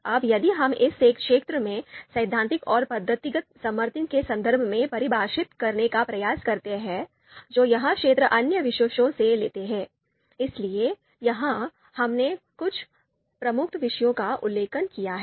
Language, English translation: Hindi, Now now if we try to define this area in terms of the in terms of the theoretical and methodological support that this area takes from other disciplines, so here we have mentioned some of the prominent disciplines